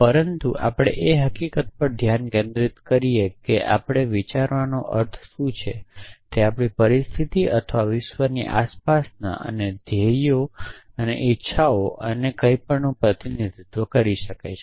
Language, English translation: Gujarati, But let us focus on the fact that what we mean by thinking is representation of our situation or the world or the surroundings and the goals and the desires and anything